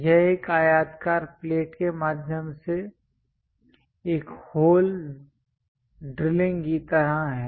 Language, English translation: Hindi, It is more like drilling a hole through rectangular plate